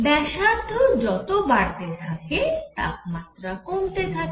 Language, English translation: Bengali, As the radius goes up, the temperature comes down